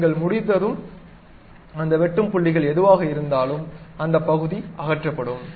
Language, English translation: Tamil, Once you are done, whatever those intersecting points are there, that part will be removed